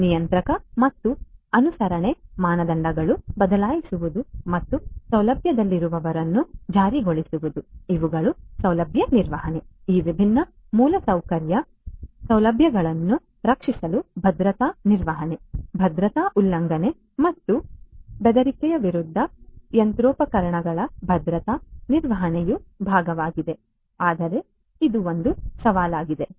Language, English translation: Kannada, Changing regulatory and compliance standards and enforcing those within the facility these are also part of the facility management, security management to protect these different infrastructure facilities machinery against security breaches and threats that is also part of security management, but is a challenge